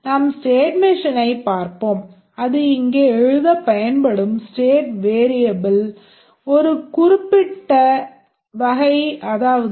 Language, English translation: Tamil, We will just look at the state machine and we see the state variable that is used